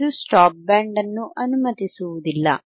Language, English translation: Kannada, This will not allowed stop band, not allowed stop band,